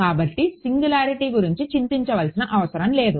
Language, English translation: Telugu, So, what is there is no singularity to worry about